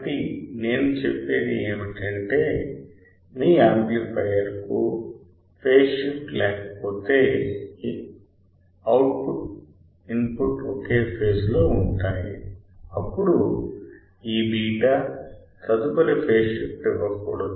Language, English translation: Telugu, So, what I am saying is if your amplifier has no phase shift the output is in phase with respect to input; then this beta should not give should not give any further phase shift